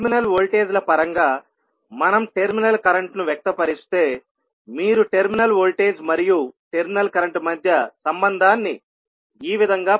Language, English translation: Telugu, So, when we express terminal current in terms of terminal voltages, you will get a relationship between terminal voltage and terminal current as follows